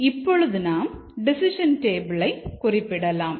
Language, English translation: Tamil, And now we represent it in a decision table form